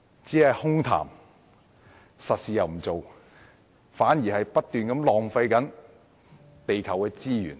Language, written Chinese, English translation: Cantonese, 只是空談而不做實事，反而會不斷浪費地球的資源。, Prattle without making concrete efforts will conversely keep wasting the resources of our planet